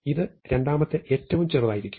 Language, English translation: Malayalam, Again, this will be the second smallest